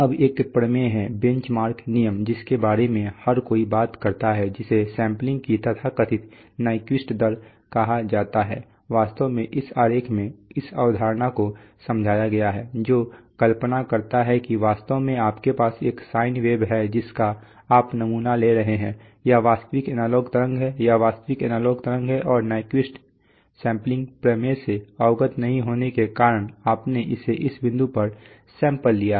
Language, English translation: Hindi, Now there is a theorem, bench mark rule which everybody talks about is called the so called the Nyquist rate of sampling, actually this is this concept is explained in this diagram, that imagine that you actually, truly have this side wave which you are sampling, this is the real analog wave right, this is the real analog wave and being not aware of the Nyquist sampling theorem you have sampled it at these points right